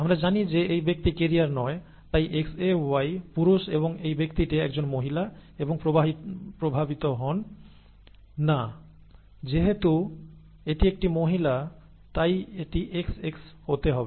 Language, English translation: Bengali, We know that this person is not a carrier therefore X capital AY, male and the this person is a female and not affected since it is a female it has to be XX